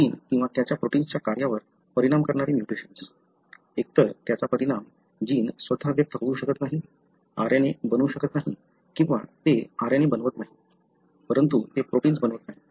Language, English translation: Marathi, So, the mutation affecting the function of the gene or its protein; either it may affect, the gene itself may not be expressed, RNA may not be made or it does make RNA, but it does not make protein